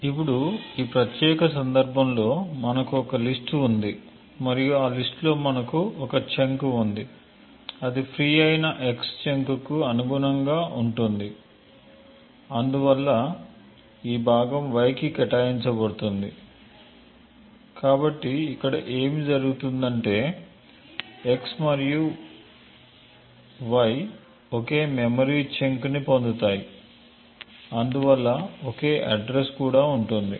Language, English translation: Telugu, Now in this particular case we have a list and in that list we have one chunk that is present corresponding to the freed x chunk and therefore this chunk gets allocated to y, therefore what would happen over here is that y and x would obtain the same chunk of memory and therefore would have the same address and this is the reason why x and y would have the same address